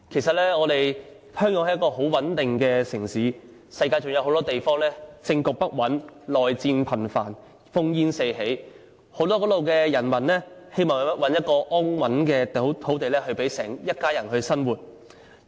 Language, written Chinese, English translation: Cantonese, 香港是一個很穩定的城市，以致世界各地很多政局不穩、內戰頻繁、烽煙四起的地方的人民，都希望在此找到一片安穩土地，讓一家人生活下去。, Hong Kong has been a city of high stability so people living in politically unstable countries countries with lingering civil wars or lands beset by war all over the world will come to find a safe haven in Hong Kong so that their families can lead a peaceful life here